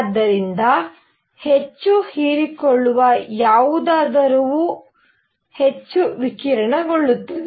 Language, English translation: Kannada, So, something that absorbs more will also tend to radiate more